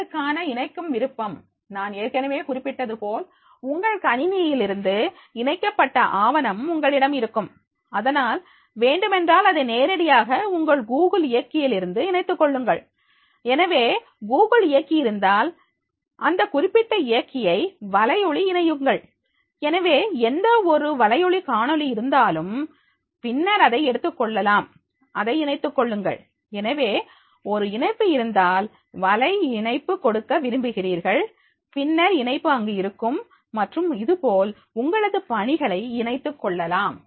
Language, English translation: Tamil, ) Attachment options for the assignments, so therefore as I mention that is, you will have the attached document from your computer, so therefore if there is any document is to be there attach directly from your Google drive, so if there is a Google drive, so make that particular drive, attach a YouTube video, so whatever the YouTube video is there, then that is to be taken, attach a link, so therefore if there is a link is there, web link you want to give, then you link that is there and like this, you can make your assignments the attached